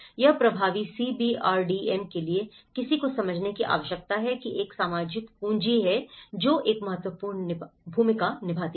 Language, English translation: Hindi, For an effective CBRDM, one need to understand there is a social capital which plays an important role